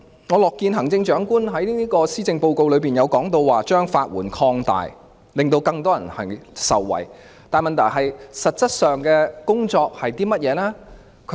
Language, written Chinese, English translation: Cantonese, 我樂見行政長官在施政報告提到擴大法律援助服務，令更多人受惠。但問題是，實質的工作是甚麼？, I am pleased that the Chief Executive mentions extending legal aid services in the Policy Address but the questions are What actually is the work involved?